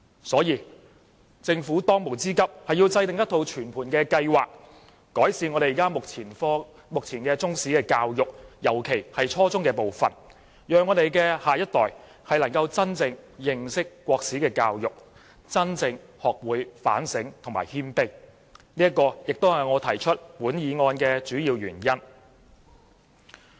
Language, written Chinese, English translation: Cantonese, 所以，政府當務之急是要制訂全盤計劃，改善目前的中史科教育，尤其是初中階段，讓香港的下一代能夠真正認識中國歷史，學會反省和謙卑，這是我提出這項議案的主要原因。, Therefore it is imperative for the Government to formulate a comprehensive plan for improving Chinese history education especially at junior secondary level so that the next generation of Hong Kong can truly understand Chinese history and learn about self - reflection and humility . This is the main reason why I move this motion